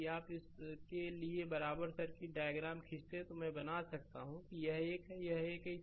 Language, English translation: Hindi, If you draw the equivalent circuit diagram for this one, then I can make this is one, this is one right